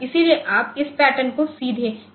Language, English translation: Hindi, So, you cannot put this pattern directly on to PORTC